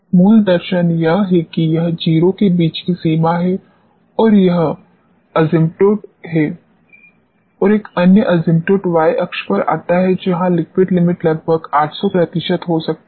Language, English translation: Hindi, The basic philosophy is that it ranges between 0 this is asymptote and another asymptote comes on the y axis where the liquid limit could be approximately 800 percent